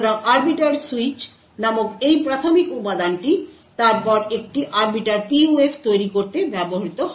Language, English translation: Bengali, So this primitive component called the arbiter switch is then used to build an Arbiter PUF